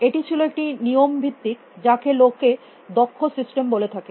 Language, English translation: Bengali, the rule based what people called as expert systems